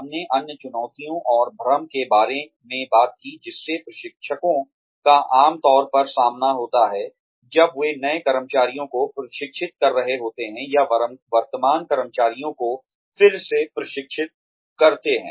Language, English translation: Hindi, We talked about, other challenges and confusion, trainers usually face, when they are training new employees, or re training the current employees